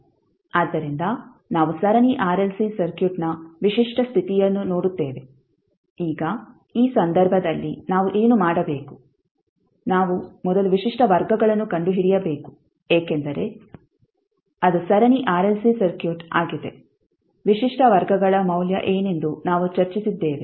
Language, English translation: Kannada, So we see the typical case of Series RLC Circuit, now in this case what we have to do we have to first find out the characteristic roots because it is series (())(06:57) RLC circuit we discussed what will be the value of the characteristic roots